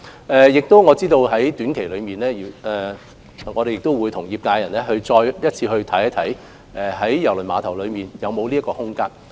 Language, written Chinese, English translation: Cantonese, 我也知道在短期內，我們會與業界人士再次審視郵輪碼頭在這方面的空間。, I am aware that we will shortly review with members of the trade the spare capacity available at KTCT